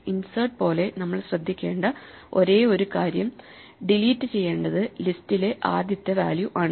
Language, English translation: Malayalam, As before like with insert the only thing we have to be careful about is if we have to delete actually the first value in the list